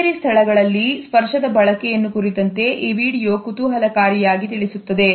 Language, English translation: Kannada, This video interestingly reflects the use of touch in the offices space